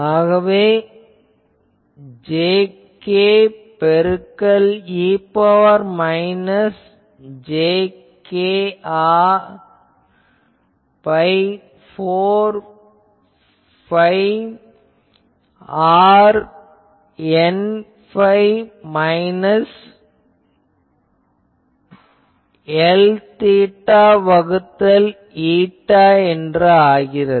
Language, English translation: Tamil, So, jk e to the power minus j k r by 4 phi r N phi minus L theta by eta and all